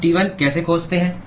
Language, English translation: Hindi, How do we find T1